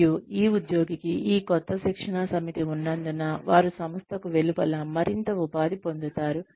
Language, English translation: Telugu, And, because this employee, has this new set of training, they will become more employable, outside the organization